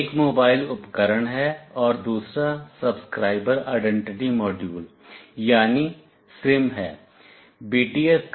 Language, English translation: Hindi, One is the mobile equipment, and another is Subscriber Identity Module or SIM